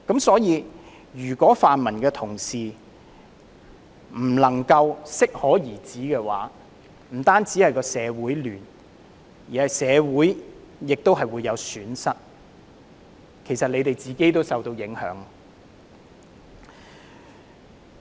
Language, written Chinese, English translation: Cantonese, 所以，如果泛民同事不能夠適可而止，不但會造成社會混亂，亦會令社會損失，他們自己也會受到影響。, If Honourable colleagues of the pan - democratic camp do not stop at an appropriate juncture there will be social chaos that would take toll on society and affect them in turn